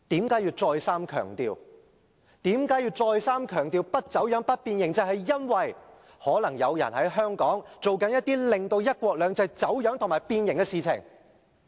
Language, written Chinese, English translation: Cantonese, 他為何要再三強調不走樣、不變形，就是因為可能有人在香港正在進行一些令"一國兩制"走樣和變形的事情。, Why did XI emphasize these two points? . Perhaps some people in Hong Kong are doing something causing the practice of one country two systems to be distorted and twisted